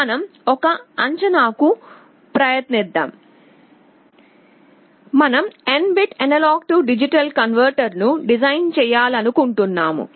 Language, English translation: Telugu, Let us have an estimate, suppose we want to design an n bit A/D converter